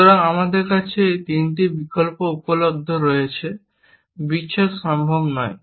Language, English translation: Bengali, So, we have these 3 option available separation is not possible, because there no variables safe